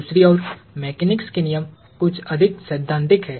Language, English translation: Hindi, The laws of mechanics on the other hand are somewhat more theoretical